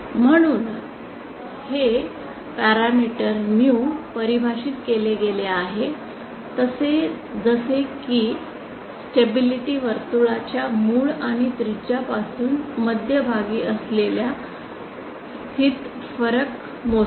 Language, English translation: Marathi, So this parameter mu is defined like this actually measures the difference between the position of center from the origin and radius of the stability circle